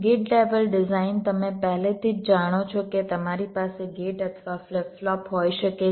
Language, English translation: Gujarati, gate level design: you already know where you can have gates or flip flops